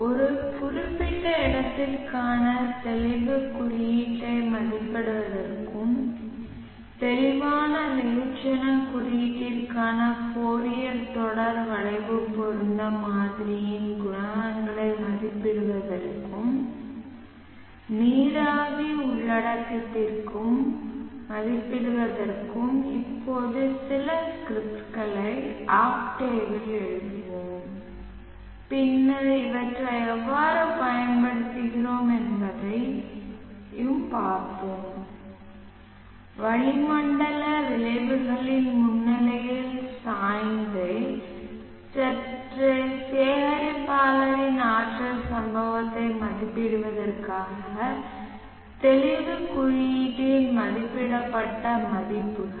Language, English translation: Tamil, We shall now write some scripts in octave to estimate the clearness index for a given place and also to estimate the coefficients of the Fourier series curve rate model for clear mass index and also the water vapor content then we shall also see how we use the estimated value of the clearness index in order to estimate the energy incident on a tilted slightly collector in the presence of atmosphere atmospheric effects